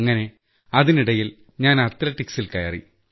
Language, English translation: Malayalam, So gradually, I got into athletics